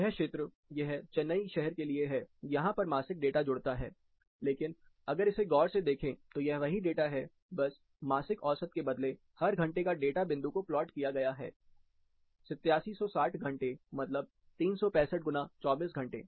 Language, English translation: Hindi, This particular zone, this is for the location Chennai, this is where the monthly data gets connected, but if you take a closer look at this, this is the same data, instead of monthly mean, every hour data points are plotted, 8760 hours that is, that is 365 into 24